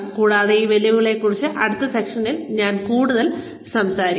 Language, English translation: Malayalam, And, we will talk more about, these challenges in the next session